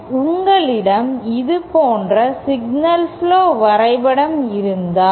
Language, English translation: Tamil, If you have a signal flow graph diagram like this